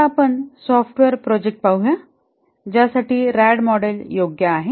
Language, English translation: Marathi, Now let's look at the software projects for which the RAD model is suitable